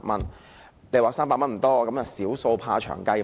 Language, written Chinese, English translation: Cantonese, 三百元看來不多，但"小數怕長計"。, The amount of 300 may not seem much but small sums will add up to big amounts in time